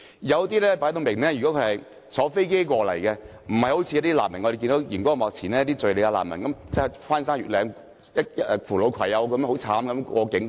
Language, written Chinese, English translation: Cantonese, 有些人士顯然是乘搭飛機來港，不像電視上所見的敘利亞難民，翻山越嶺、扶老攜幼地過境。, Some people obviously come to Hong Kong by air unlike those Syrian refugees we see on television who scale the mountains to get to the other side of the border bringing along their children and elderly family members